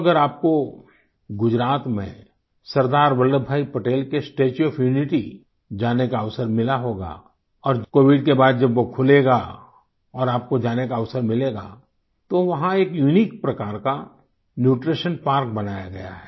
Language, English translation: Hindi, Friends, if you have had the opportunity to visit the Statue of Unity of Sardar Vallabhbhai Patel in Gujarat, and when it opens after Covid Pandemic ends, you will have the opportunity to visit this spot